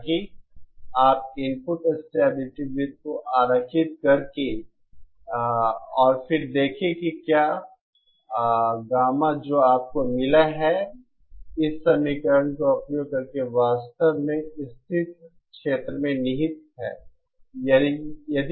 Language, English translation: Hindi, So that, you can do by drawing the input stability circle and then see whether the gamma is that you have obtained using this equation indeed lies in the stable region